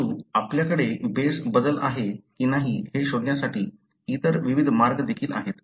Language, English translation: Marathi, But, there are other various ways as well, to detect whether you have a base change